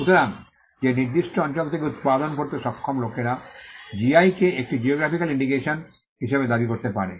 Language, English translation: Bengali, So, the people who are able to manufacture from that particular region can claim a GI a geographical indication